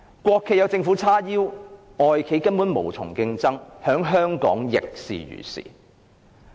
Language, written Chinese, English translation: Cantonese, 國企有政府撐腰，外企根本無從競爭，在香港亦是如是。, Foreign enterprises have no way to compete with state - owned enterprises backed by the Chinese Government . This is also the case in Hong Kong